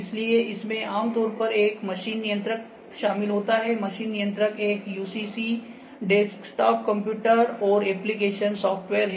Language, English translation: Hindi, So, this typically includes a machine controller, machine controller is a UCC, desktop computer and application software